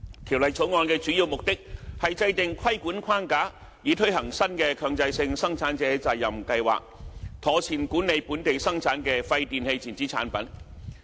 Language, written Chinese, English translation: Cantonese, 《條例草案》的主要目的是制訂規管框架，以推行新的強制性生產者責任計劃，妥善管理本地產生的廢電器電子產品。, The main purpose of the Bill was to formulate a regulatory framework to implement a new mandatory PRS for the proper management of WEEE generated in Hong Kong